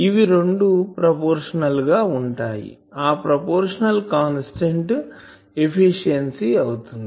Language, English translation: Telugu, If, obviously, they are proportional the proportionality constant is efficiency